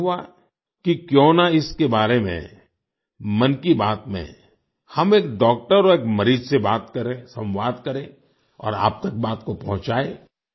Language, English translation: Hindi, Why not talk about this in 'Mann Ki Baat' with a doctor and a patient, communicate and convey the matter to you all